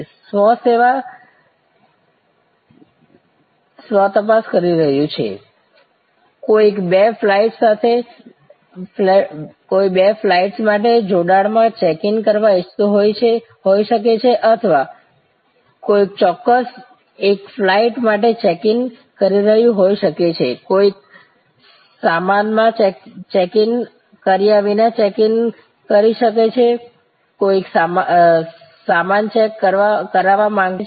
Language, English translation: Gujarati, Self checking, somebody may want to check in for two flights in conjunction or somebody may be just checking in for one flight, somebody may checking in without any check in baggage, somebody may be wanting to check in baggage,